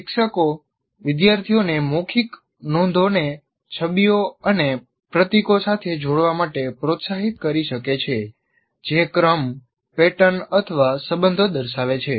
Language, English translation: Gujarati, Teachers can encourage students to link verbal notes with images and symbols that show sequence, patterns, or relationship